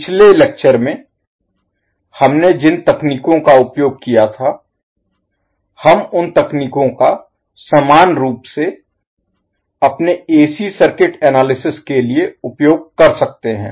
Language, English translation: Hindi, So whatever we techniques, the techniques we used in previous lectures, we can equally use those techniques for our AC circuit analysts